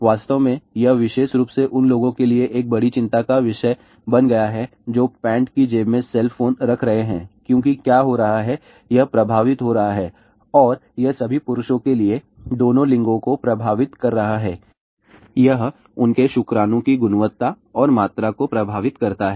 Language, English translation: Hindi, In fact, that has become a major major concern today especially, to the people who are keeping cell phone in there pant pocket because what is happening , it is affecting and it is affecting both the genders for all the males, it affects their sperm quality and quantity and for all the girls and ladies, it affects the eggs in the ovaries